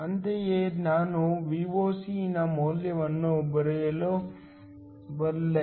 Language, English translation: Kannada, Similarly, I can write the value of Voc